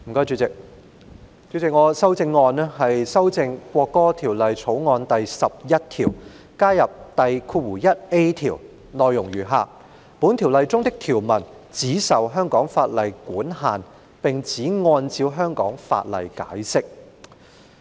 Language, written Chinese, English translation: Cantonese, 主席，我的修正案是修訂《國歌條例草案》第11條，以加入第條，內容是"本條例中的條文只受香港法例管限並只按照香港法例解釋。, Chairman my amendment seeks to amend clause 11 of the National Anthem Bill the Bill by adding subclause 1A to provide that the provisions in this Ordinance should be governed by and interpreted in accordance with solely the laws of Hong Kong